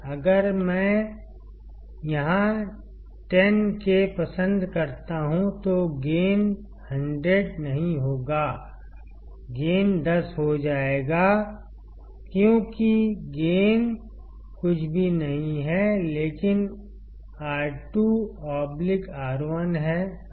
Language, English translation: Hindi, If I put like 10K here, the gain will not be 100; the gain will become 10 because gain is nothing, but minus R 2 by R 1